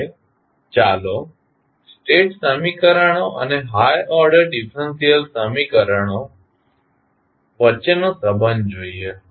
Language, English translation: Gujarati, Now, let us see the relationship between state equations and the high order differential equations